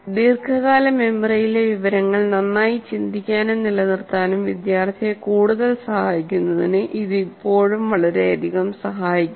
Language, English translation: Malayalam, But it still greatly helps for the student to think and kind of retain the information in the long term memory better